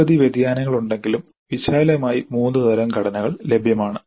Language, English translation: Malayalam, There are many variations but broadly there are three kind of structures which are available